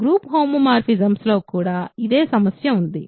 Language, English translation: Telugu, This is exactly the same problem as in group homomorphisms ok